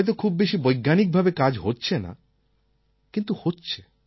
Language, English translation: Bengali, Maybe it is not being done in a very scientific way, but it is being done